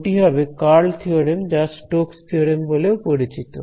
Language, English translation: Bengali, So, that is the curl theorem also known as the Stoke’s theorem right